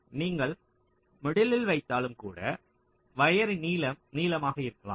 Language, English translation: Tamil, so when, even if you place in the middles, still the length of the wires may longer